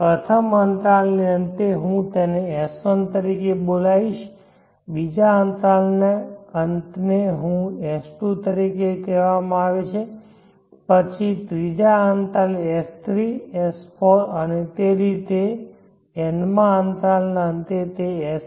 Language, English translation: Gujarati, At the end of the 1st interval I will call it as s1 and the end of the 2nd interval is called s2, then the 3rd interval s3, s4 so on at the end of nth interval it will be sn